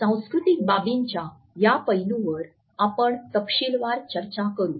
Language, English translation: Marathi, And it is this aspect of cultural associations which we will discuss in detail